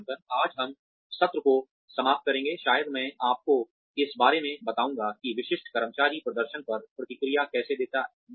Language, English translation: Hindi, Today, we will end the session, with maybe, I will tell you about, how typical employees respond to performance appraisals